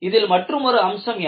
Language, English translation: Tamil, And what is the other important aspect